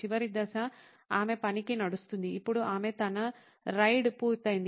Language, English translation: Telugu, Then the last phase is she walks to work, now she is all done with her ride